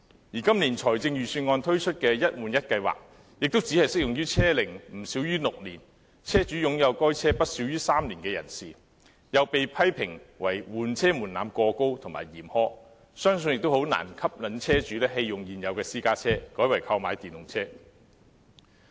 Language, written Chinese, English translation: Cantonese, 而今年財政預算案推出的"一換一"計劃亦只適用於車齡不少於6年、車主擁有該車不少於3年的人士，又被批評為換車門檻過高和嚴苛，相信難以吸引車主棄用現有私家車，改為購買電動車。, The one - for - one replacement scheme introduced in the Budget this year only applies to vehicles not less than six years old which are possessed by the owners for not less than three years . This threshold is being criticized as too high and stringent . I believe that it can hardly attract vehicle owners to replace their existing private cars with EVs